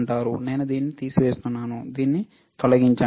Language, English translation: Telugu, I will remove this one, remove this ok